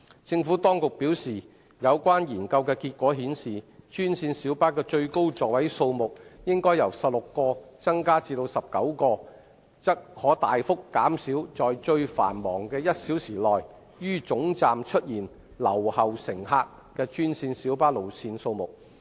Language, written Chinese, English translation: Cantonese, 政府當局表示，有關研究的結果顯示，專線小巴的最高座位數目應由16個增加至19個，則可大幅減少在最繁忙的1小時內於總站出現留後乘客的專線小巴路線數目。, The Administration has advised that the findings of the study suggest that should the maximum seating capacity of green minibuses be increased from 16 to 19 the number of green minibus routes with left - behind passengers at termini during the busiest one hour is expected to drop significantly